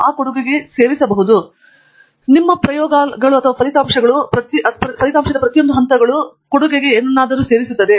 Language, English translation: Kannada, But, on a day to day basis, most of the time your experiments or your results are going to be small steps, each individual step will add to something